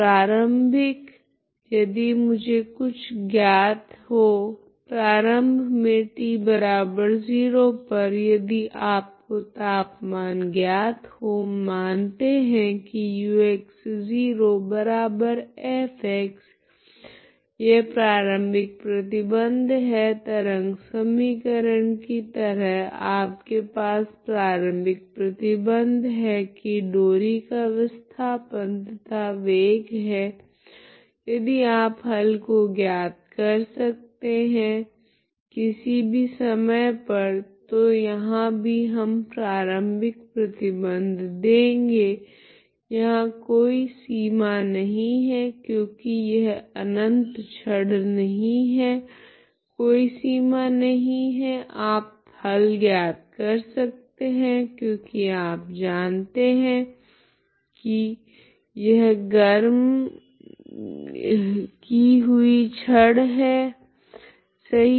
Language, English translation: Hindi, Initially if I know something, okay initially at t equal to 0 if you know the temperature so let us say fx this is the initial condition just like a wave equation you have the initial conditions like for a given displacement and the velocity of the string if you give you can find the solution for all times so here also we give the initial condition there is no boundary here if it is infinite rod there is no boundary you can find solution because you know that it is a rod heating rod heated rod, right